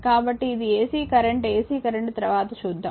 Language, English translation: Telugu, So, this is ac current ac current will see later